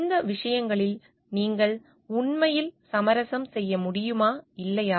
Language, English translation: Tamil, Can you really compromise on these things or not